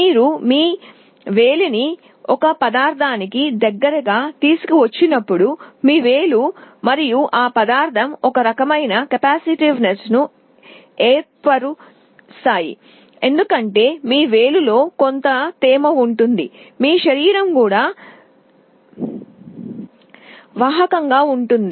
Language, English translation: Telugu, When you bring your finger close to a material, your finger and that material will form some kind of a capacitance because there will some moisture in your finger, your body is also conductive